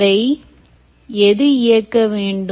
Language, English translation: Tamil, and what should it run